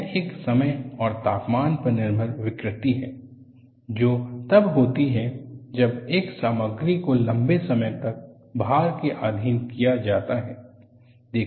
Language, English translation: Hindi, It is a time and temperature dependent deformation, which occurs when a material is subjected to load for a prolonged period of time